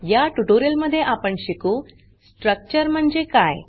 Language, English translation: Marathi, In this tutorial we will learn, What is a Structure